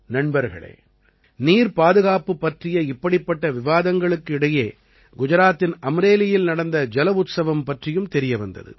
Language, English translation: Tamil, Friends, amidst such discussions on water conservation; I also came to know about the 'JalUtsav' held in Amreli, Gujarat